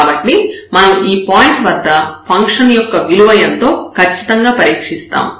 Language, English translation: Telugu, So, definitely we will test at this point what is the value of the function later on